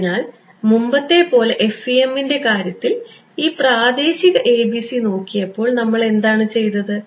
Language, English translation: Malayalam, So, as before when we looked at this local ABC in the case of FEM what did we do